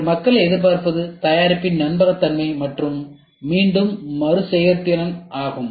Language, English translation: Tamil, Today what people expect is reliability and repeatability of the product